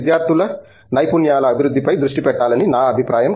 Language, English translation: Telugu, I think skills development of students has to be focused upon